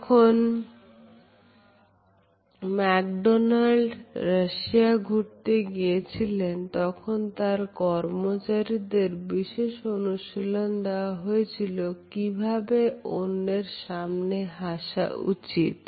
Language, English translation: Bengali, When McDonald’s went to Russia in the nineties, they had to coach their employees on how to smile